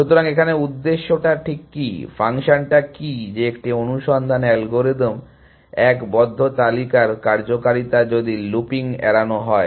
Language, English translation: Bengali, So, what is the purpose, what is the function that a functionality of close list in a search algorithm one is avoid looping